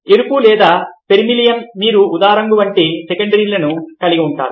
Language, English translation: Telugu, green, and you have secondary like red or vermillion, you have secondary like purple